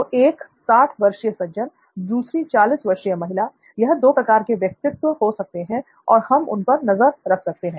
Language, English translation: Hindi, So one could be a sixty year old gentleman the other could be a forty year old lady, so you could have these two types of personas and you could be shadowing them as well